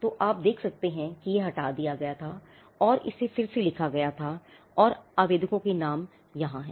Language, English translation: Hindi, you can see that it was struck off and it was written back again, and the applicants name is here